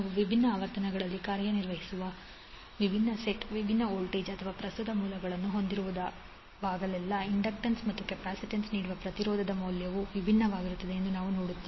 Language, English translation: Kannada, Whenever we have different set, different voltage or current sources operating at different frequencies we will see that the value of inductance and capacitance C not the value of inductance and capacitance, we will say that it is the impedance offered by the inductance and capacitance will be different